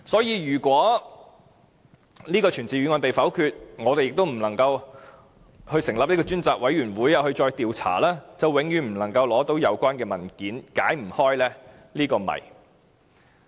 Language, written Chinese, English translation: Cantonese, 如果這項傳召議案被否決，我們又不能成立專責委員會進行調查，便永遠不能取得有關文件，解不開這個謎。, If this summoning motion is negatived and we cannot establish a select committee to conduct investigation we can never obtain the relevant documents and the mystery will not be resolved